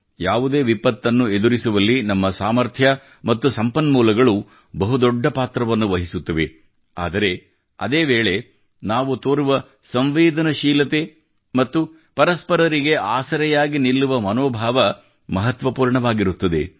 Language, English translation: Kannada, Our capabilities and resources play a big role in dealing with any disaster but at the same time, our sensitivity and the spirit of handholding is equally important